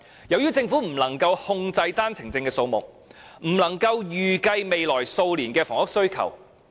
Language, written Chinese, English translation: Cantonese, 由於政府不能夠控制單程證的數目，因此不能夠預計未來數年的房屋需求。, As the Government cannot control the OWP quota it is unable to estimate the housing demand in the coming years